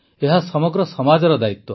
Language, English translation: Odia, It is the responsibility of the whole society